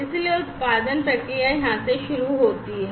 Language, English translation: Hindi, So, the production process starts from here